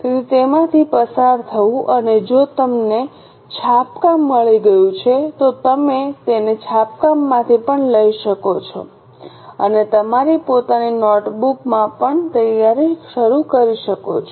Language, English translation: Gujarati, So go through it and if you have got a printout you can take it from the printout also and start preparing in your own notebook